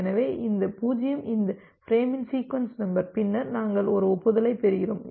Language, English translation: Tamil, So, this 0 is the sequence number for this frame and then, we are getting an acknowledgment